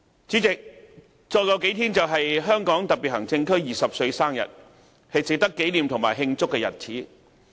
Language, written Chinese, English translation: Cantonese, 主席，再過數天便是香港特別行政區20歲生日，是值得紀念和慶祝的日子。, President in a few days it will be the 20 anniversary of the establishment of the Hong Kong SAR which is a day worth commemorating and celebrating